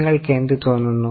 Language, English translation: Malayalam, What do you feel